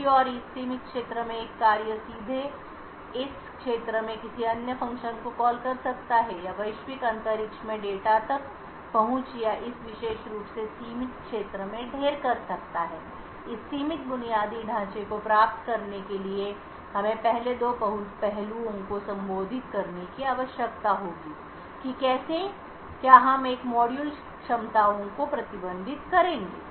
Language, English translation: Hindi, On the other hand functions one function in this confined area could directly call another function in this area or access data in the global space or heap in this particular confined area essentially in order to achieve this confined infrastructure we would require to address two aspects first how would we restrict a modules capabilities